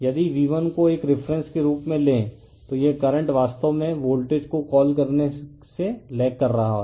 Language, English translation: Hindi, If you take your V1 as a reference so, this current actually lagging from your what you call the voltage